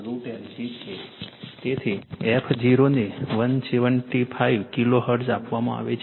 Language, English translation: Gujarati, So, f 0 is given 175 kilo hertz